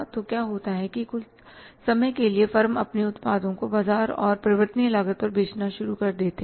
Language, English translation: Hindi, So, what happens that for the time being, firms start selling their products in the market at the variable cost